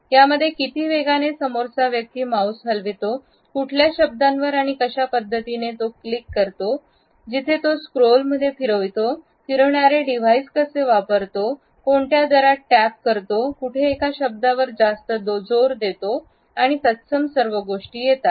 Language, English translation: Marathi, Ranging from how fast and at which angles they move their mouse, where they click, where they hover around in a scroll, how do they device rotations, the rate at which they tap, where they pinch and similar other things